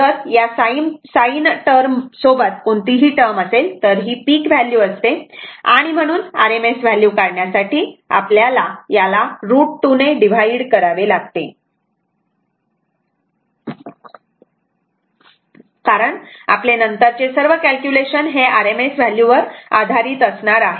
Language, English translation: Marathi, If anything term attached with this sin term; that means, this is a peak value, you have to divided it by root 2 to take the rms value, because on all our calculations will be based on later we will see only on rms value, right